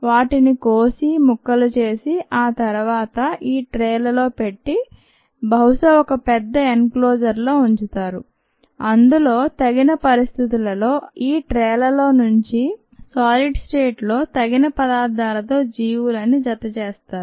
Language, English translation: Telugu, they could be cut down, chopped on and so on forth and then place on these trays in probably a large enclosure and appropriate conditions maintained here and the organisms added to the appropriate sub state